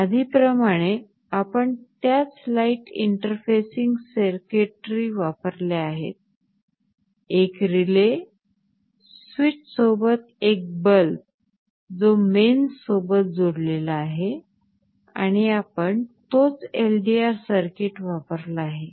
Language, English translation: Marathi, Now see we have used that same light interfacing circuitry as was shown earlier; a relay, a bulb with a switch connected to mains, and we have used the same LDR circuit